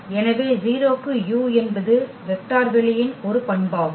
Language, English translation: Tamil, So, 0 into u that is a property of the vector space this should be 0 vector then